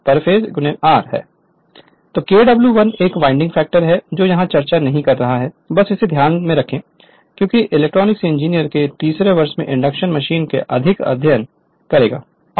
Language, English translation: Hindi, So, Kw1 is winding factor I am not discussing this here just you keep it in your mind, because more you will study in your electrical engineering in your third year induction machine